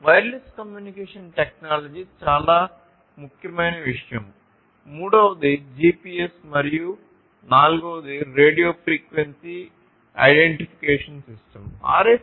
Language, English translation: Telugu, So, wireless communication technology is very important second thing a third one is the GPS which I think all of us know and the fourth one is the radio frequency identification system